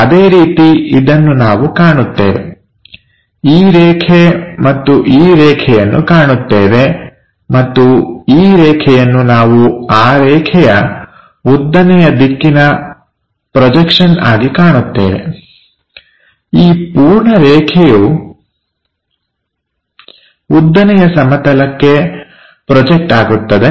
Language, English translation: Kannada, Similarly, we will see this one, this line, and this line we will see, and this line we see it like vertical projection of that line, so this entire line projected into vertical plane